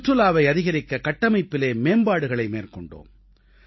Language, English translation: Tamil, There were improvements in the infrastructure to increase tourism